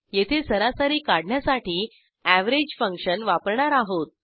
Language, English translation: Marathi, Here we use the average function to calculate the average